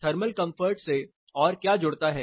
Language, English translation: Hindi, What else connects to thermal comfort